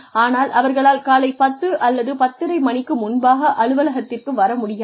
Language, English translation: Tamil, But, they are not able to get to the office, before 10:00 or 10:30 in the morning